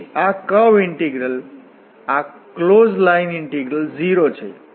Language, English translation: Gujarati, So this curve integral this closed line integral is 0